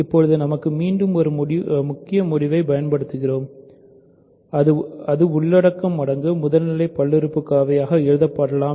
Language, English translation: Tamil, So, now, using again the big tool for us is that every polynomial can be written as a content times a primitive polynomial